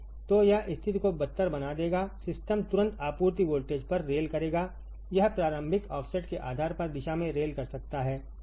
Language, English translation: Hindi, So, ma this will make the situation worse the system will immediately rail at the supply voltage, it could rail either direction depending on the initial offset, right